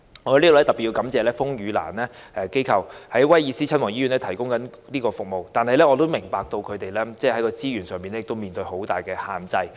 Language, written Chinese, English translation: Cantonese, 我在此要特別感謝風雨蘭這一機構在該醫院提供服務。然而，我明白到它在資源上面對很大限制。, I have to particularly thank the organization called RainLily for providing these services in that hospital but I understand that it is facing serious constraints in resources